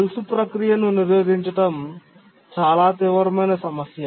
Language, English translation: Telugu, So chain blocking is a severe problem